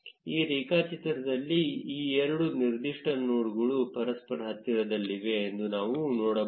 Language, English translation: Kannada, In this graph, we can see that two of these particular nodes are very close to each other